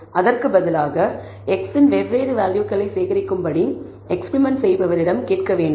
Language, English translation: Tamil, Instead, you should ask the experimenter to go and collect data different values of x, then come back and try to check whether that is valid